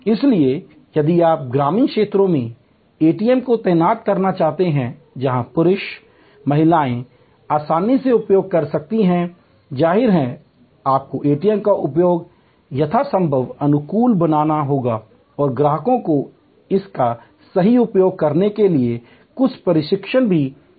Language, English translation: Hindi, So, if you want to deploy ATM in rural areas, where men, women can easily use then; obviously, you have to make the ATM use as friendly as possible and also provides certain training to the customers to use it properly